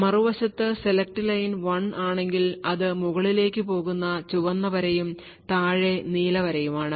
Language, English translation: Malayalam, On the other hand, if the select line is set to 1 then it is the red line which goes on top and the blue line which is at the bottom